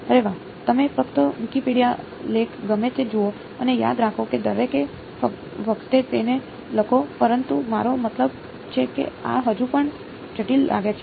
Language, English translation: Gujarati, Yeah, you just look up the Wikipedia article whatever and remember write it down each time, but I mean this still looks complicated